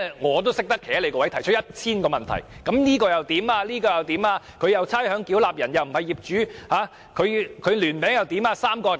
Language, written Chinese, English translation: Cantonese, 我也懂得站在政府的位置提出 1,000 個問題，如果差餉繳納人不是業主怎麼辦？, I can put myself in the Governments shoes and raise 1 000 questions . What if the ratepayer is not the property owner?